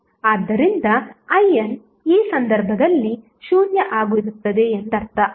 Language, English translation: Kannada, So, that means I n will be 0 in this case